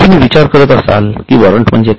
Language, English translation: Marathi, So, you will be wondering what is a warrant